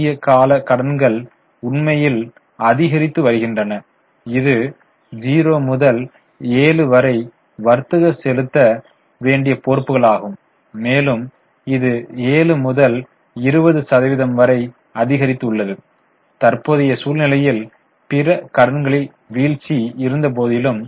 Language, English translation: Tamil, Short term borrowings are actually going up which is a matter of concern from 0 to 7, trade payables increased from 7 to 20% although there was a fall in other current liabilities